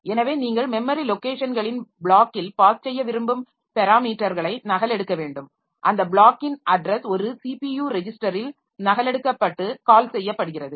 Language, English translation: Tamil, So, you copy the parameters that you want to pass in a block of memory locations and then address of that block is copied onto a CPU register and the call is done